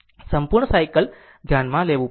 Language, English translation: Gujarati, You have to consider the complete cycle